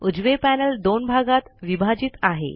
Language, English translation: Marathi, The right panel is divided into two halves